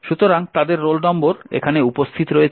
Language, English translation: Bengali, So, their roll numbers are present here